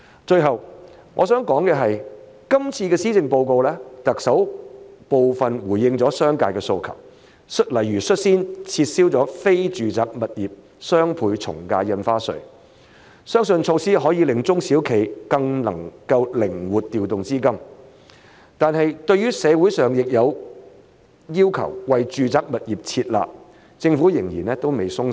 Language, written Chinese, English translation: Cantonese, 最後我想談的是，在今次的施政報告中，特首部分回應了商界的訴求，例如率先撤銷了非住宅物業雙倍從價印花稅，相信措施可令中小企更能夠靈活調動資金，但是對於社會上亦有要求為住宅物業"撤辣"，政府仍然未鬆手。, The last point I would like to make is that the Chief Executive has in the current Policy Address partly responded to the aspirations of the business sector by for example taking the lead to abolish the Doubled Ad Valorem Stamp Duty imposed on non - residential property transactions . While it is believed that this measure will enable SMEs to deploy their capital more flexibly the Government has not yet let up its tight grip in the face of the concurrent demand from the community for withdrawal of the harsh measures imposed on residential properties